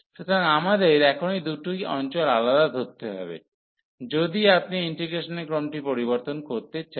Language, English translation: Bengali, So, there are 2 different regions we have to consider now if you want to change the order of integration